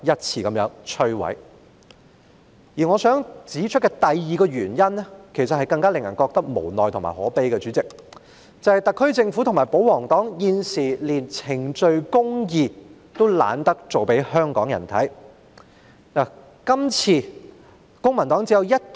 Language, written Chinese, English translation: Cantonese, 主席，我想指出的第二個原因，其實令人感到更加無奈和可悲，因為特區政府和保皇黨現時乾脆懶得向香港人裝作秉持程序公義。, Chairman the second reason that I wish to point out is actually more frustrating and saddening since the SAR Government and the pro - Government camp now even do not bother to pretend to Hongkongers that they are practising procedural justice